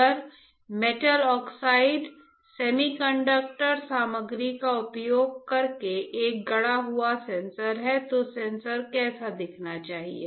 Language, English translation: Hindi, If I have a fabricated a sensor using metal oxide semiconductor material how the sensor should look like